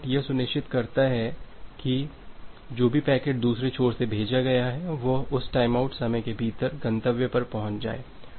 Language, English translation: Hindi, The timeout ensures that whatever packet that has been sent by the other end, that will reach at the destination within that timeout value